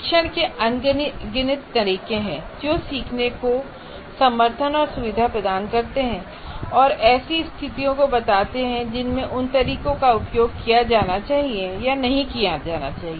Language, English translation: Hindi, There are endless number of methods of instruction that is essentially ways to support and facilitate learning and the situations in which those methods should and should not be used